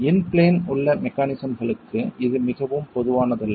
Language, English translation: Tamil, For in plane mechanisms, that's not so common